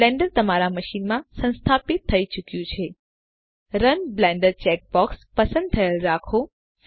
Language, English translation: Gujarati, Blender has been installed on your machine Keep the Run Blender checkbox selected